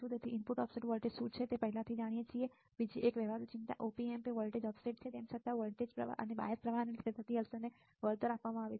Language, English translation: Gujarati, So, what is the input offset voltage, we already know right another practical concern Op Amp is voltage offset even though the effect due to the offset current and bias current are compensated